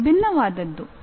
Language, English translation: Kannada, It is something different